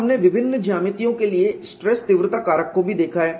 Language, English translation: Hindi, And we have also looked at stress intensity factor for various geometries the insights